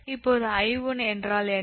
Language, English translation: Tamil, now what is i one